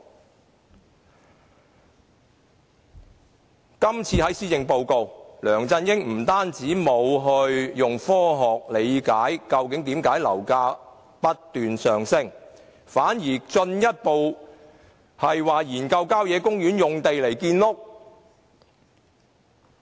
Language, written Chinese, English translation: Cantonese, 在這次施政報告中，梁振英不單沒有以科學角度理解樓價為何不斷上升，反而進一步研究以郊野公園用地建屋。, In this Policy Address LEUNG Chun - ying fails to scientifically decode the reason for the soaring property prices; worse still he turns to country park sites for housing construction